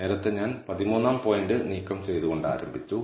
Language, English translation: Malayalam, So, earlier I started by removing 13th point